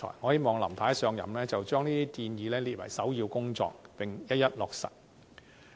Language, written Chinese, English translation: Cantonese, 我希望"林太"一上任，就將這些建議列為首要工作，並一一落實。, I hope that Mrs LAM can regard these proposals as her first and foremost task and put them into implementation immediately after taking office